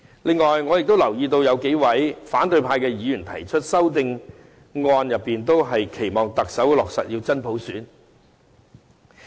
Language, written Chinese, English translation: Cantonese, 此外，我亦留意到有數位反對派議員提出的修正案，均期望特首能落實真普選。, Furthermore I have noticed that a few opposition Members have proposed amendments expressing their expectations for the Chief Executive to implement genuine universal suffrage